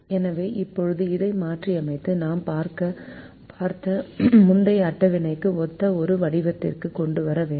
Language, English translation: Tamil, so we now have to modify this and bring it to a form which is consistent with the earlier table that we have seen